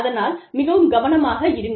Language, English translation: Tamil, So, please be careful